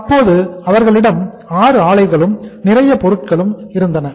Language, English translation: Tamil, Then they had the 6 plants and many things